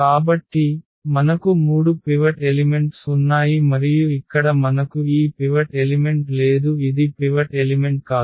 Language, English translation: Telugu, So, we have the three pivot elements and here we do not have this pivot element this is not the pivot element